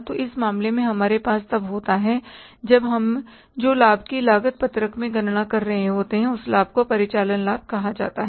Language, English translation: Hindi, So, in this case, when the profit we are calculating in the cost sheet, that profit is called as operating profit